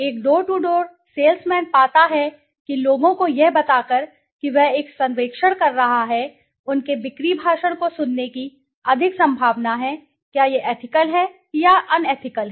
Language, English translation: Hindi, A door to door salesman finds that by telling people that he is conducting a survey they are more likely to listen to his sales speech, is this ethical or unethical